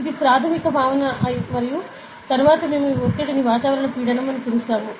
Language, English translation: Telugu, So, this is a very basic concept and then, we call this pressure as atmospheric pressure, ok